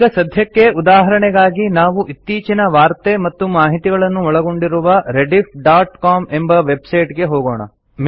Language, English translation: Kannada, For now, as an example, let us go to Rediff.com website that has the latest news and information